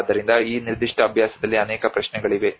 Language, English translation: Kannada, So there are many questions in this particular practice which comes